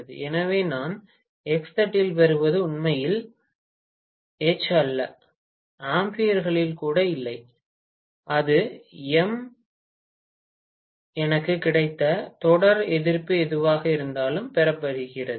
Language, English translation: Tamil, So, what I am getting in the X plate is not really H and not even Im in amperes, it is rather Im multiplied by whatever is the series resistance I have got